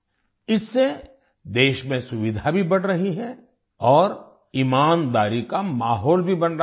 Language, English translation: Hindi, Due to this, convenience is also increasing in the country and an atmosphere of honesty is also being created